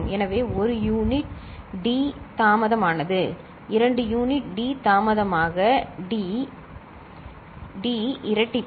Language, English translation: Tamil, So, delayed by 1 unit – d, delayed by 2 units d into d d square